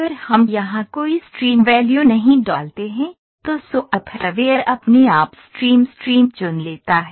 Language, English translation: Hindi, So, if we do not put any stream value here, the software would pick a stream value by itself ok